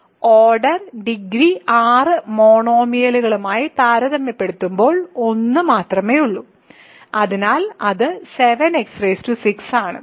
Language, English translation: Malayalam, So, comparing order degree 6 monomial there is only 1, so that is 7 x power 6